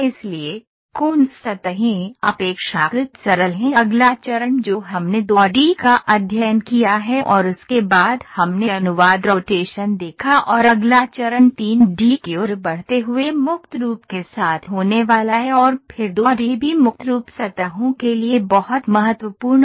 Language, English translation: Hindi, So, Coons surfaces are relatively simple next step from whatever we have studied 2 D and then we saw translation rotation and next step moving towards 3 D is going to be with free form and then 2 D also free form surfaces is very important